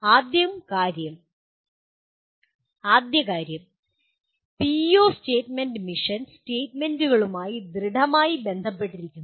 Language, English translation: Malayalam, First thing is PEO statement should strongly correlate with mission statements